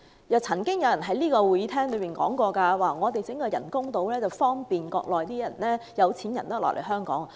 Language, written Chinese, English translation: Cantonese, 又曾經有議員表示，政府興建人工島是為了方便內地的有錢人來港。, Some other Members claimed that the construction of artificial islands served to facilitate wealthy Mainlanders to come to Hong Kong which really baffled me